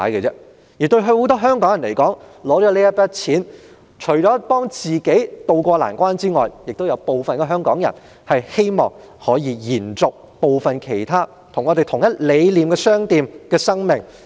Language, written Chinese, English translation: Cantonese, 對於很多香港人來說，這筆錢除可幫助自己渡過難關之外，亦有部分香港人希望可以用來延續部分與我們理念相同的商店的生命。, While many Hong Kong people will use this sum of money to tide over the difficulties some will choose to use the money to sustain the operation of shops sharing the same concept